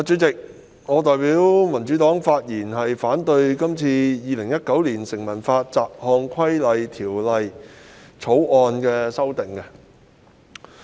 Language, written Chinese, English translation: Cantonese, 主席，我代表民主黨發言反對《2019年成文法條例草案》所訂修訂事項。, President I speak on behalf of the Democratic Party to voice our objection to the amendments proposed under the Statute Law Bill 2019 the Bill